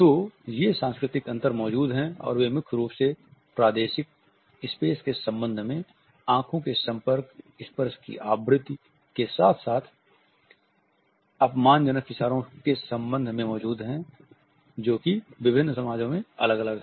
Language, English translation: Hindi, So, these cultural differences do exist and they mainly exist in relation to territorial space, eye contact the frequency of touch as well as the insulting gestures which are different in different societies